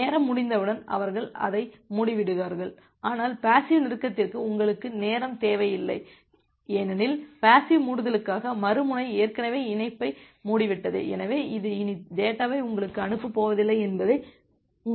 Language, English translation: Tamil, Once the timeout occurs they close it, but for the passive close you do not require the timeout because, for the passive close the other end has already closed the connection, so you know that it is not going to send anymore data to you